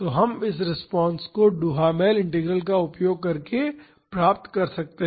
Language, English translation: Hindi, So, we can find this response using Duhamel Integral